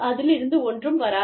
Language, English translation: Tamil, Nothing will come out of it